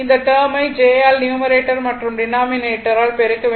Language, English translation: Tamil, This one, this term you multiply numerator and denominator by j